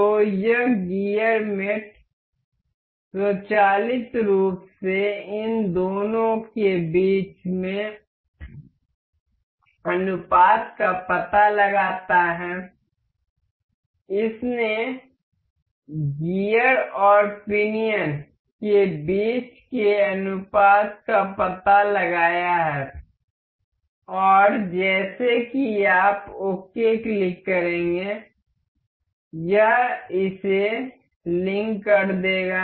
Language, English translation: Hindi, So, this gear mate automatically detects the ratio between these two, it has detected the ratio between the gear and the pinion and as you click ok it will link it up